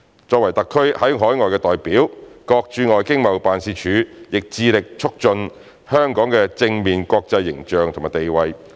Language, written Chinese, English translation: Cantonese, 作為特區在海外的代表，各駐外經貿辦亦致力促進香港的正面國際形象和地位。, As SARs representatives overseas all ETOs alike are committed to promoting Hong Kongs positive global image and international status